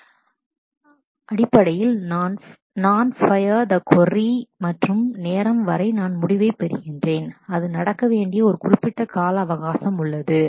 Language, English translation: Tamil, Real time is basically that from the time I fire the query and to the time I get the result, there is a fixed time limit within which it has to happen